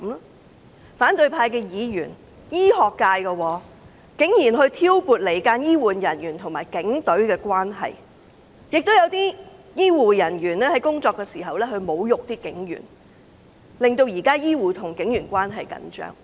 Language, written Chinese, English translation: Cantonese, 在反對派議員當中有醫學界人士，但他竟然挑撥離間醫護人員與警隊的關係，亦有醫護人員在工作時侮辱警員，令現時醫護與警員關係緊張。, There is a medical professional among opposition Members but he has sowed discord between health care personnel and police officers . Some health care personnel have insulted police officers in the course of performing their duties . Thus the relationship between health care personnel and the Police Force is tense even though both parties are providing emergency relief